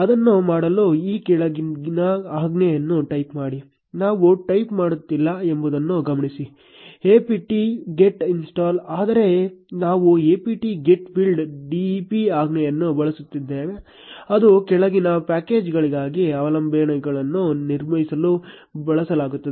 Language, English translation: Kannada, To do that, type the following command, note that we are not typing, apt get install, but we are using the command apt get build dep which is used to build dependencies for a following package